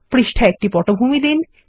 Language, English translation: Bengali, Give a background to the page